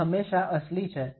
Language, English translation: Gujarati, He is always genuine